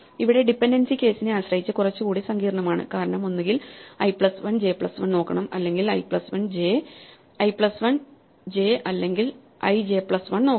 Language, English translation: Malayalam, So, here the dependency is slightly more complicated because depending on the case, I either have to look at i plus 1 j plus 1 or I have to look at i plus 1 j or i j plus 1